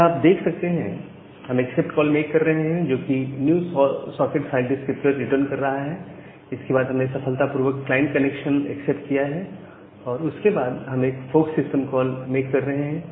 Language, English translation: Hindi, Here you see that after we are making this accept call, which is returning the new socket file descriptor then, we have successfully accepted a client connection then we making a fork system call